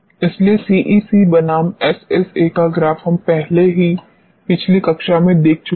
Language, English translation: Hindi, So, CEC versus SSA we have already seen in the previous class